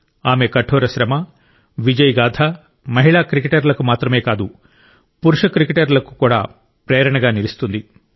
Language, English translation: Telugu, The story of her perseverance and success is an inspiration not just for women cricketers but for men cricketers too